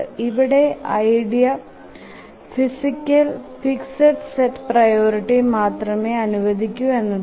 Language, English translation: Malayalam, The idea here is that we allow only a fixed set of priority